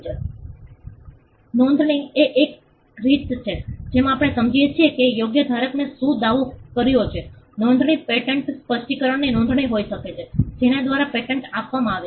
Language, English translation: Gujarati, Registration is a way in which we can understand what the right holder has claimed, registration could be a registration of a patent specification by which a patent is granted